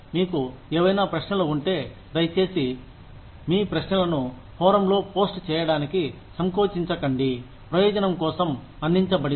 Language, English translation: Telugu, If you have any questions, please feel free to post your questions, on the forum, that has been provided, for the purpose